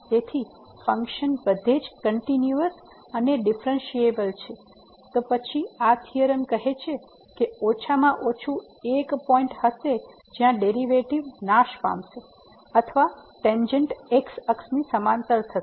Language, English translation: Gujarati, So, the function is continuous and differentiable everywhere then this theorem says that there will be at least one point where the derivative will vanish or the tangent will be parallel to